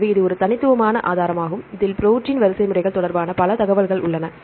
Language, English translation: Tamil, So, it is a unique resource, it contain lot of information regarding protein sequences right